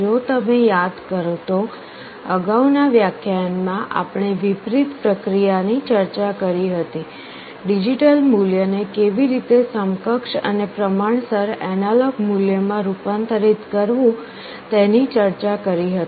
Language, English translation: Gujarati, If you recall in our previous lecture we discuss the reverse process, how to convert a digital value into an equivalent and proportional analog value